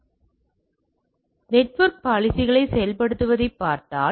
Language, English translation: Tamil, So, if you look at the implementation of the security policies